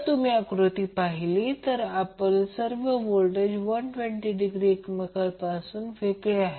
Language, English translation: Marathi, So, if you see this particular figure, all our voltages are 120 degree from each other